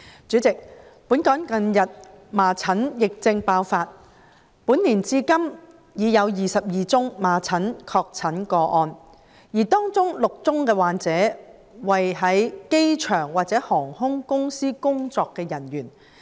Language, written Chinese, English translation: Cantonese, 主席，本港近日麻疹疫症爆發，據報本年至今已有26宗麻疹確診個案，而當中9宗的患者為在機場或航空公司工作的人員。, President there is a recent outbreak of measles epidemic in Hong Kong . It has been reported that this year up to the present 26 confirmed cases of measles infection have been recorded and the infected persons in nine of those cases are personnel working at the airport and for airline companies